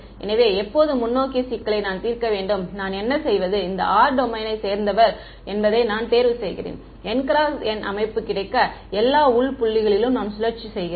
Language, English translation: Tamil, So, when I want to solve the forward problem what do I do is, I choose r to belong to this domain and I cycle over all the internal points get N by N system